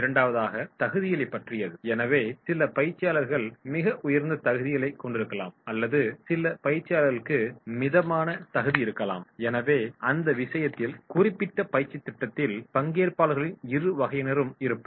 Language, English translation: Tamil, Second is that in about the qualifications, so some of the trainees they may have very high qualifications and some of the trainees they may have the moderate qualification and therefore in that case there will be both the types of participants in the particular training program